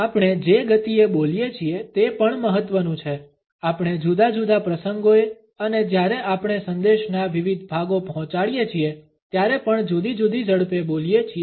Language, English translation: Gujarati, The speed at which we speak is also important we speak at different speeds on different occasions and also while we convey different parts of a message